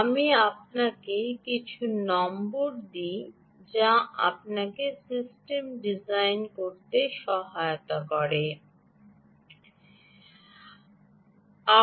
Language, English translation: Bengali, ok, let me give you some numbers which will help you to design systems